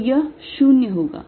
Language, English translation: Hindi, so this is going to be zero